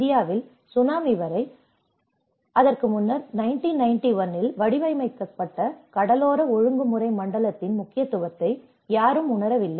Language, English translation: Tamil, In India, until the Tsunami, no one have realized the importance of coastal regulation zone which was earlier formulated in 1991